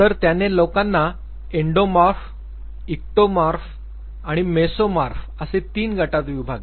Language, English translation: Marathi, So, he divided people into three groups Endomorph, Ectomorph and the Mesomorph